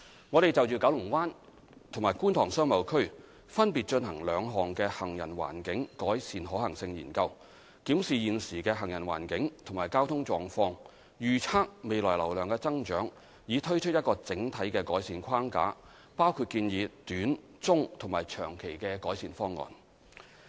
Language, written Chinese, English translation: Cantonese, 我們就九龍灣及觀塘商貿區分別進行兩項行人環境改善可行性研究，檢視現時的行人環境及交通狀況，預測未來流量的增長，以推出一個整體的改善框架，包括建議短、中及長期的改善方案。, We carried out two feasibility studies on pedestrian environment improvement separately for the Kowloon Bay Business Area KBBA and the Kwun Tong Business Area KTBA . The studies reviewed the existing pedestrian environment and traffic conditions forecasted the future increase in traffic volume and proposed a comprehensive improvement framework that includes improvement proposals in the short medium and long term